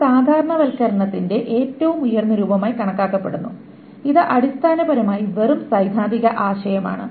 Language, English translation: Malayalam, This is considered the highest form of normalization and this is essentially just a theoretical concept